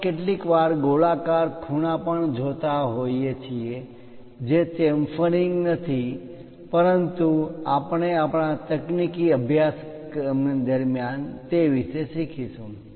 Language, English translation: Gujarati, We see sometimes rounded corners also that is not chamfering, but we will learn about that during our technical course